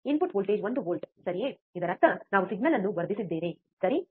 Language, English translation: Kannada, Input voltage is one volt right; that means, that we have amplified the signal, right